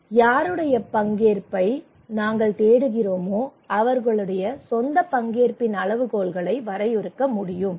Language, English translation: Tamil, Those whose participations we are seeking for they will define the criteria of participations